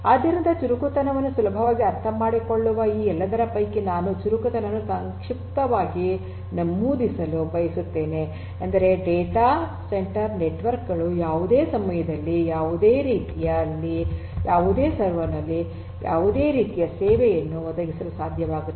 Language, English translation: Kannada, So, out of all of these which are pretty much easily understood agility is something that I would like to briefly mention agility property means that a data centre networks should be able to provide any kind of service on any server at any time